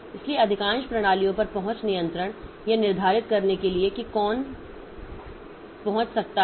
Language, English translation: Hindi, So, access control on most systems to determine who can access what